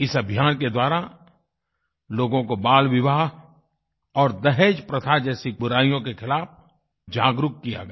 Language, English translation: Hindi, This campaign made people aware of social maladies such as childmarriage and the dowry system